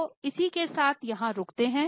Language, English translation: Hindi, So, with this we will stop here